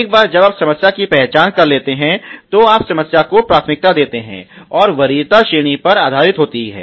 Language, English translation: Hindi, Once you identify the problem, you prioritize the problem, and priority is are based on the ranking